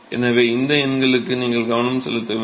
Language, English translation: Tamil, So, you have to pay attention to these numbers